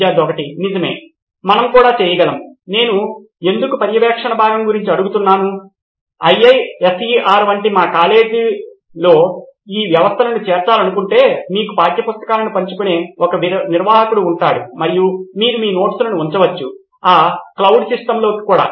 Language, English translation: Telugu, Right, we can also…why I was asking about the monitoring part is, if we want to incorporate this systems in our college like IISER there would be an admin who will be sharing the textbooks to you and you can put up your notes into that cloud system as well